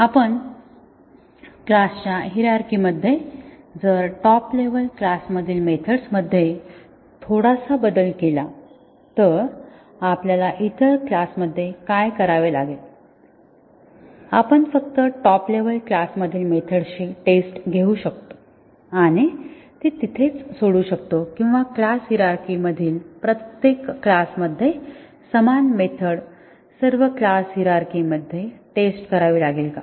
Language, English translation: Marathi, If we in a class hierarchy, if we make a small change to a method in a top level class, what do you have to do in the other classes, can we just test the method in the top level class and just leave it there or do we have to test it in all the class hierarchy the same method in every class in the class hierarchy